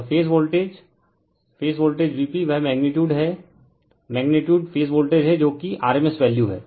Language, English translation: Hindi, And your phase voltage phase voltage is V p that is your that is your magnitude, magnitude is the phase voltage that is rms value